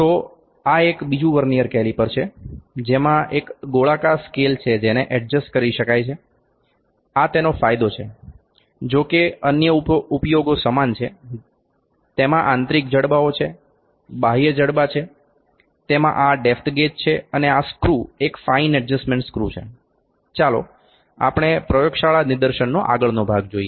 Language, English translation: Gujarati, So, this is another Vernier caliper which is having this circular scale and it can be adjusted, this is the advantage; however, the other uses are same it has internal jaws, external jaws it has this depth gauge and this screw is the fine adjustment screw let us meet to the next part of the lab demonstration